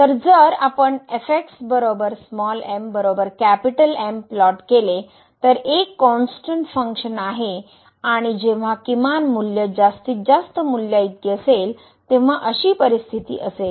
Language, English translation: Marathi, So, basically if we plot this it is a constant function and that would be the situation when the minimum value will be equal to the maximum value